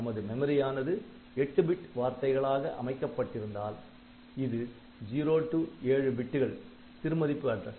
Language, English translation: Tamil, So, if your memory is organised as 8 bit word then this is the this is the lowest address word and this is the highest address words